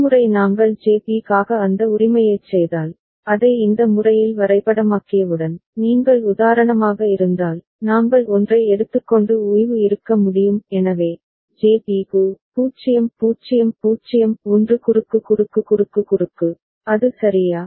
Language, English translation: Tamil, And once we do that right for JB, once we map it in this manner, if you just for example we take up one and rest can be – so, for JB, 0 0 0 1 cross cross cross cross, is it ok